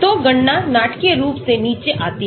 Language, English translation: Hindi, So, the calculations come down dramatically